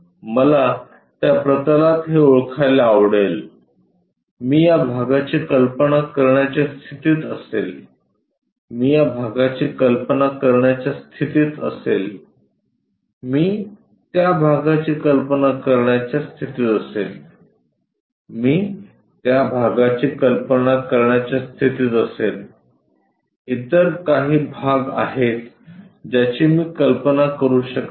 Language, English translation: Marathi, I would like to identify this on that plane, I will be in a position to visualize this part, I will be in a position to visualize this part, I will be in a position to visualize that part, I will be in a position to visualize that part, some other parts I can not really visualize